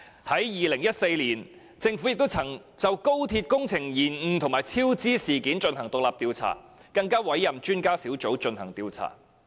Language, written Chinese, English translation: Cantonese, 在2014年，政府曾就高鐵工程延誤及超支事件進行獨立調查，更委任專家小組進行調查。, In 2014 the Government conducted an independent inquiry into the delay and cost overrun of the Guangzhou - Shenzhen - Hong Kong Express Rail Link XRL project and appointed an expert panel to look into the issue